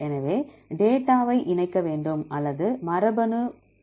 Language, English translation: Tamil, So, it requires the data to be connected or to be condensed with genetic distance